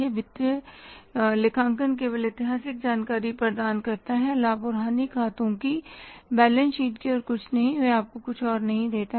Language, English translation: Hindi, Financial accounting only provides the historical information that is the profit and loss account and balance sheet nothing else